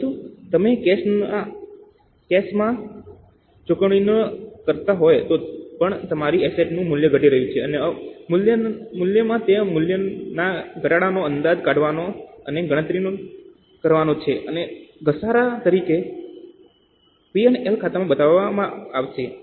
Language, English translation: Gujarati, But even if you are not paying in cash, the value of your asset is falling and that value fall in the value is to be estimated and calculated and to be shown in P&L account as a depreciation